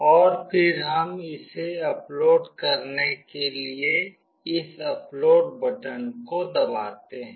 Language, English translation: Hindi, And then we press this upload button to upload it